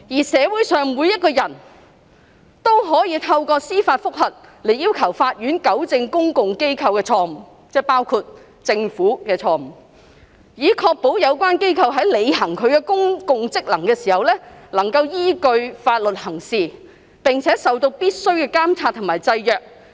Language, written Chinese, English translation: Cantonese, 社會上每一個人都可以透過司法覆核來要求法院糾正公共機構的錯誤"——即包括了政府的錯誤——"以確保有關機構在履行其公共職能時能根據法律行事，並且受到必須的監察及制約。, Judicial review enables individuals to seek redress from the Court against public bodies―that means the Government is included―to ensure that the exercise of public functions is in accordance with the law and is subject to necessary checks and balances